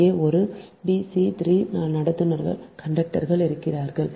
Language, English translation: Tamil, here a, b, c, three conductors are there